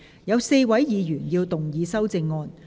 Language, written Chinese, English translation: Cantonese, 有4位議員要動議修正案。, Four Members will move amendments to this motion